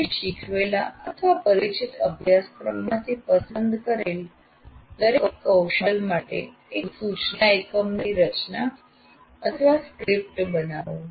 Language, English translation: Gujarati, Create the structure or script of the instruction unit for a chosen competency from the course you taught are familiar with